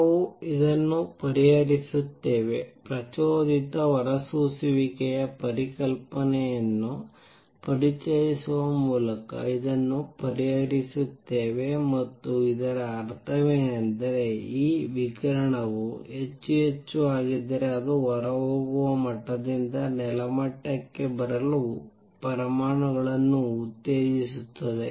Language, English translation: Kannada, We resolve this, resolve this by introducing the concept of stimulated emission and what that means, is that this radiation which is there if it becomes more and more it will also stimulate atoms to come down from a exited level to ground level